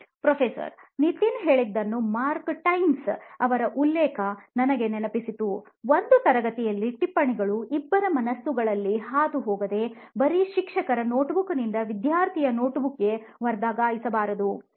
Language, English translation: Kannada, What Nithin said reminded me of Mark Twain’s quote, “that a classroom should not be a transfer of notes from the teacher’s notebook to the student’s notebook without going through the minds of either”